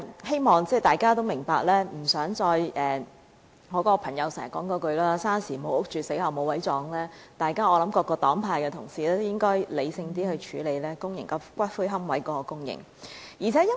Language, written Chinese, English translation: Cantonese, 希望大家明白，大家都不想再聽到"生時無屋住，死後無位葬"的說話，因此各黨派同事應更理性處理公營龕位的供應問題。, I hope Members will understand that no one wishes to hear the saying we live without a decent home and die without a burial place again . Hence colleagues from various political parties and groupings should deal with the supply of public niches more rationally